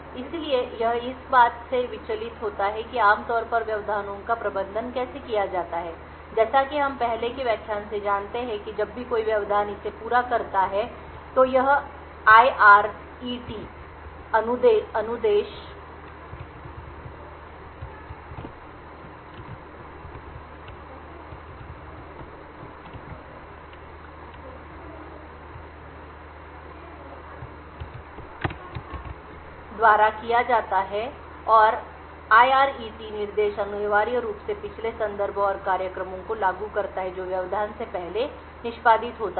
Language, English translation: Hindi, So this deviates from how interrupts are typically managed so as we know from earlier classes that whenever an interrupt completes it execution this is done by the IRET instruction and the IRET instructions would essentially enforce the previous context and the program which was executing prior to the interrupt occurring but continue to execute